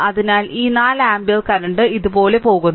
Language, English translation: Malayalam, So, this 4 ampere current is going like these